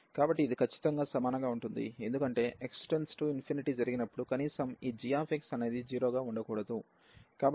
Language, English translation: Telugu, So, it can be strictly equal also because that x approaches to infinity at least this g x should not be 0